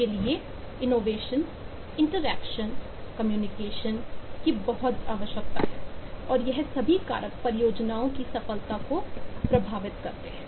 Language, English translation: Hindi, it requires great deal of innovation, interaction, communication, and all those factors impact the success of the projects